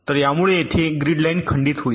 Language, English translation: Marathi, so this causes this grid line to be broken